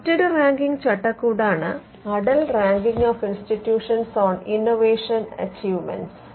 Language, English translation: Malayalam, Now, the other ranking framework is called the Atal Ranking of Institutions on Innovation Achievements